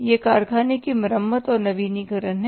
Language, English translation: Hindi, This is the factory repair and renewal